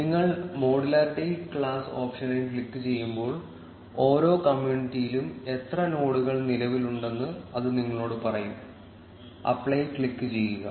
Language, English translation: Malayalam, As soon as you click the modularity class option, it will tell you how many nodes exist in each community, click on apply